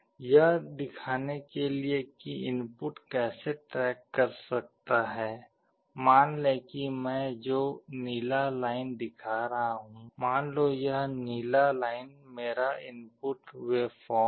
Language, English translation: Hindi, To show how the input can track, suppose this blue line I am showing, this blue line let us say is my input waveform